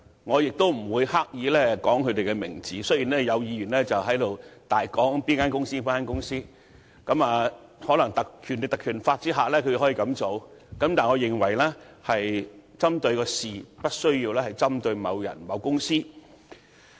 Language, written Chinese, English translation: Cantonese, 我不會刻意說出顧問公司的名稱，雖然有議員在此肆意引述顧問公司的名稱，這或因他們認為在《立法會條例》下可以這樣做，但我認為只須針對事情，而無須針對某人、某公司。, I will not name the consultancy deliberately though certain Members have cited the name of the consultancy indiscriminately . Perhaps these Members consider that they have the right to do so under the Legislative Council Ordinance yet I consider it more appropriate to focus on facts than individuals or individual companies